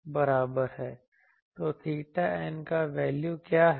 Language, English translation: Hindi, So, what is the value of theta n